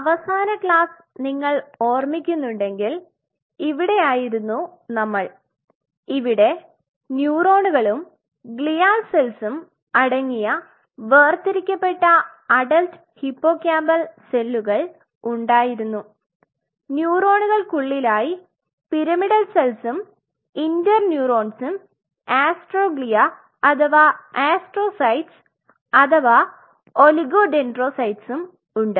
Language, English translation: Malayalam, So, in the last class if you remember this is where we were we have the adult hippocampal dissociated cells which consists of neurons and the glial cells within the neurons you have the pyramidal cells you have the interneurons you have astroglia or astrocytes or oligodendrocytes